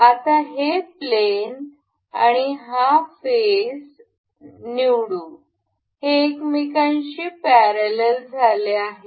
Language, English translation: Marathi, Now, let us select this plane, and this face now this has become parallel to each other